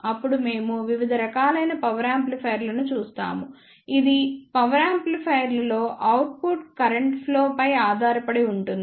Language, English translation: Telugu, Then we will see the various classes of power amplifiers which depends upon the output current flow in the amplifier